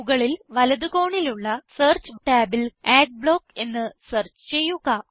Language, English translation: Malayalam, In the search tab, at the top right corner, search for Adblock